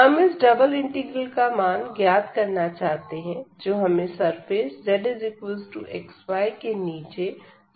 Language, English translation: Hindi, So, here the using the double integrals, we want to find the volume of the solid below this z is equal to x y